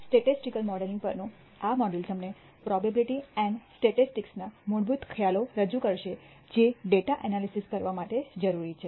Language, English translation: Gujarati, This module on Statistical Modeling will introduce you the Basic Concepts in Probability and Statistics that are necessary for performing data analysis